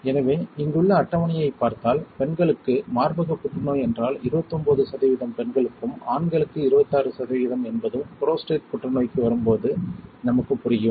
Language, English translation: Tamil, So, if you see the table here then we will understand that for women if it is breast cancer which is 29 percent of the women, then for the men it is 26 percent case when it comes to prostate cancer